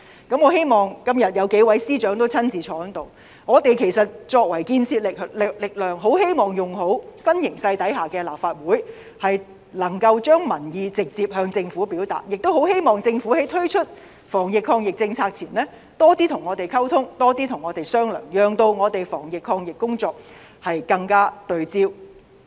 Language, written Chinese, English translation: Cantonese, 今天數位司長也在席上，我們作為這股建設力量，很希望運用新形勢下的立法會，能夠將民意直接向政府表達，亦希望政府在推出防疫抗疫政策前，多些跟我們溝通和商量，讓我們的防疫抗疫工作更加對焦。, Today as a number of Secretaries are present in this Chamber we Members of the constructive power eagerly want to make use of the Legislative Council in the new situation to get the peoples opinion across to the Government directly and we also hope that before launching any anti - pandemic measures the Government should communicate and discuss with us on a more frequent basis so as to allow our anti - pandemic efforts to be more focused